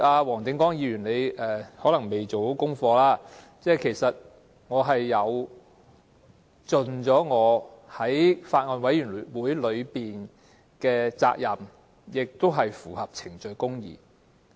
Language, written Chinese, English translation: Cantonese, 黃定光議員可能沒做好功課，其實我已盡了作為法案委員會委員的責任，做法也符合程序公義。, Mr WONG Ting - kwong probably has not done his homework properly . I have in fact fulfilled my responsibility as a member of the Bills Committee and what I did is in compliance with the principle of procedural justice